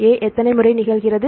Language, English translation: Tamil, So, how many times A occurs